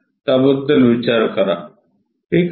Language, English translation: Marathi, Think about it ok